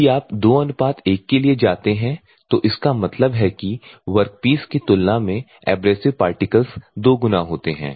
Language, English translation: Hindi, If you go for 2 : 1; that means, that the 2 times of the abrasive particles with compared to the work pieces